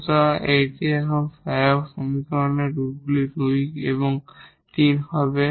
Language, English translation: Bengali, So, that is the solution the roots of this auxiliary equation as 2 and 3